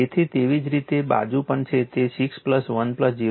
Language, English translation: Gujarati, So, and same is the other side also it is 6 plus 1 plus 0